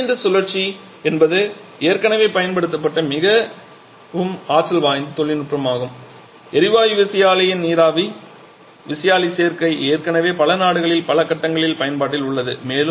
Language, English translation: Tamil, So, combined cycle is a very potent technology already used particularly the gas turbine steam turbine combination is already in use in several phases in several countries